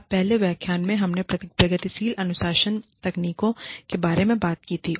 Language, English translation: Hindi, Now, in the previous lecture, we spoke about, progressive disciplining techniques